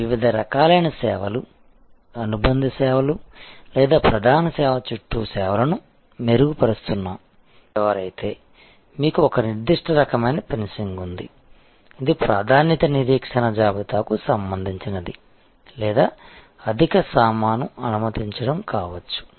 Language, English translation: Telugu, There can be based on amenities, which are the augmentation or service supplementary services or it could be even with respect to service level, like if you are a frequent traveler, then you have a certain kind of fencing, which is relating to priority wait listing or it could be increase in baggage allowances